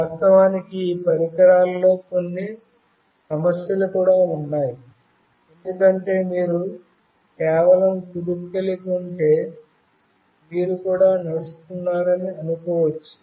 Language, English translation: Telugu, Of course, there are some issues with these devices as well, because if you are just having a jerk, then also it will assume that you are walking